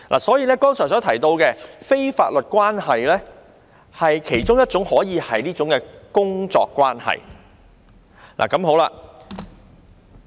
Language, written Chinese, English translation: Cantonese, 所以，剛才所提到的非法律關係可以是工作關係。, In other words a working relationship can be one of the non - legal considerations I just mentioned